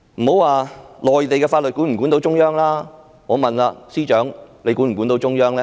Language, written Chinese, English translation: Cantonese, 莫說內地法律能否管得到中央，我想問司長管得到中央嗎？, Leaving aside whether the Mainland laws can control the Central Authorities may I ask whether the Chief Secretary can do so?